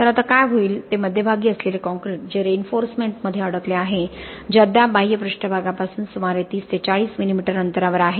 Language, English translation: Marathi, So what will happen now is the concrete that is in the centre that is entrapped between the reinforcement that is still about 30 to 40 millimetres away from the exterior surface